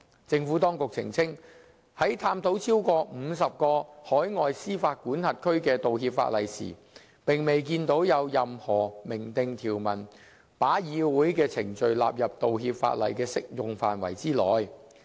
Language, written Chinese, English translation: Cantonese, 政府當局澄清，在探討超過50個海外司法管轄區的道歉法例時，並未見到有任何明訂條文把議會的程序納入道歉法例的適用範圍之內。, The Administration clarified that in its review of apology legislation in over 50 overseas jurisdictions it did not note any express provision extending the application of the apology legislation to parliamentary proceedings